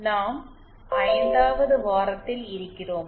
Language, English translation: Tamil, We are in week 5